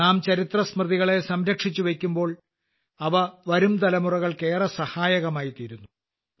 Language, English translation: Malayalam, When we cherish the memories of history, it helps the coming generations a lot